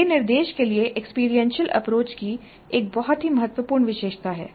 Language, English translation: Hindi, Now we will understand experiential approach to instruction